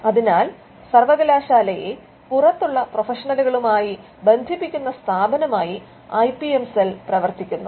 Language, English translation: Malayalam, So, the IPM cell acts as the body that connects the university to the professionals outside